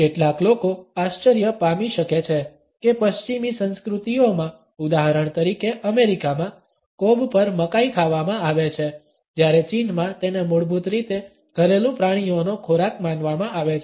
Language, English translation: Gujarati, Some people may be surprised to note that in western cultures, for example in America, corn on the cob is eaten whereas in China it is considered basically as a food for domestic animals